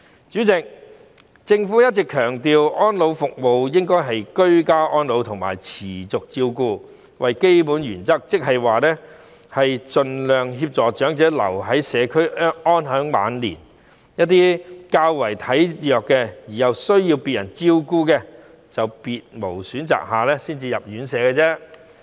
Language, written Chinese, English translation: Cantonese, 主席，政府一直強調安老服務應該以居家安老及持續照顧為基本原則，即是盡量協助長者留在社區安享晚年，一些較為體弱而需要別人照顧的長者，在別無選擇下才需要入住院舍。, President the Government has been emphasizing ageing in the community and continuum of care as the basic principles of elderly services . This means elderly persons should be assisted as much as possible in enjoying their twilight years in the community whereas those who are physically weaker and need care from other people having no other alternatives will have to stay in residential care homes